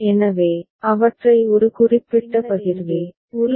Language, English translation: Tamil, So, we can put them in one particular partition, within one block ok